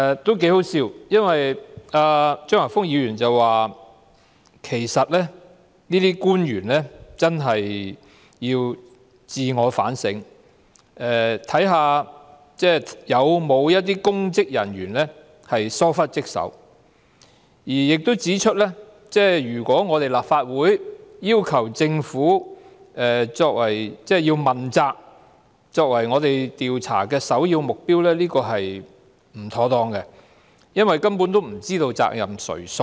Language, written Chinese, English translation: Cantonese, 這是挺可笑的，因為張華峰議員說其實這些官員真的要自我反省，看看有否一些公職人員疏忽職守，亦指出如果立法會要求把政府作為問責和調查的首要目標是不妥當的，因為根本不知責任誰屬。, It was rather hilarious for Mr Christopher CHEUNG to concede that the relevant government officials should indeed reflect upon themselves and an examination for possible dereliction of duty on the part of public officers is in order while stating that it would be inappropriate for the Legislative Council to demand an inquiry with the overriding objective of holding the Government accountable as we simply do not know who is responsible